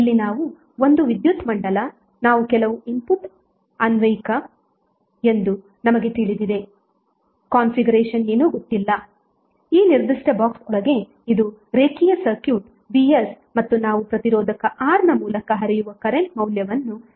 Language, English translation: Kannada, Here we have linear circuit which is inside this particular box we do not know what is the configuration of that circuit we know that some input is being applied that Vs and we are finding out what is the value of current flowing through the resistor R